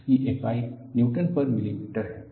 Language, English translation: Hindi, It has units of Newton per millimeter